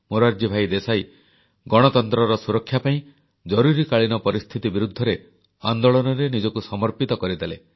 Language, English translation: Odia, To save democracy, Morarji Desai flung himself in the movement against imposition of Emergency